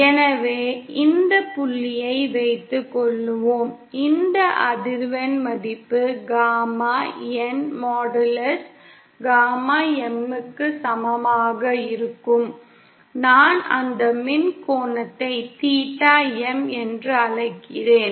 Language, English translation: Tamil, And so suppose this point, where the this value of frequency for which the input the gamma N modulus is equal to gamma M, I call that electrical angle theta M